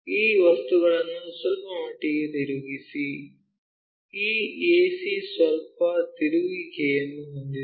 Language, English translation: Kannada, Slightly rotate these objects further this ac have slight rotation